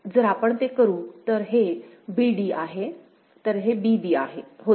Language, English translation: Marathi, So, that we shall do; so, this is a b d; so, this was b a b